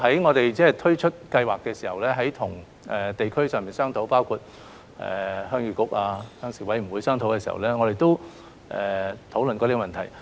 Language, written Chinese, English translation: Cantonese, 我們在推出資助計劃的時候，曾在地區上與包括新界鄉議局、鄉事委員會討論這個問題。, When we introduced the Subsidy Scheme we had discussed this problem with the Heung Yee Kuk NT . and the Rural Committees on the district level